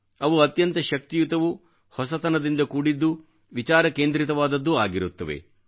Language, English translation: Kannada, They are extremely energetic, innovative and focused